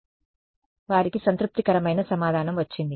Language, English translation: Telugu, So, they got a satisfactory answer